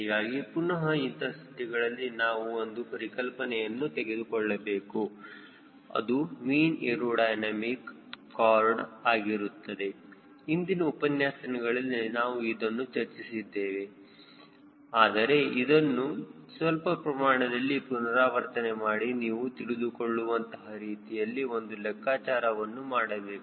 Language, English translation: Kannada, so there again we have to come the concept of mean aerodynamic chord, which we have already explained in your earlier courses, but we will be revising this little bit and do a calculation for your understand